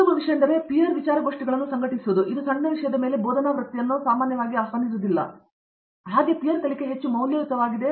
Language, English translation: Kannada, Best thing is to have them organize peer seminars, it could be on a small topic that faculty is not typically invited for that, it could be discussion of a research paper where you know, peer learning is much more valuable